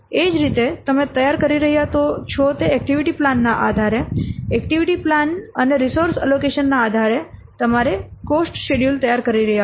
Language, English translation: Gujarati, Similarly, based on the activity plan, you are preparing the, based on the activity plan and the resource allocation, you are preparing the cost schedule